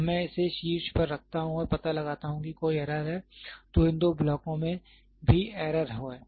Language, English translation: Hindi, When I put it on top and find out there is an error, then these two blocks also there is an error